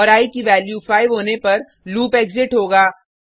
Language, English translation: Hindi, And the loop will exit once the value of i becomes 5